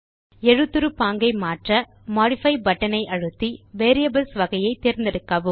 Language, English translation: Tamil, To modify the font style, click on the Modify button and choose the category Variables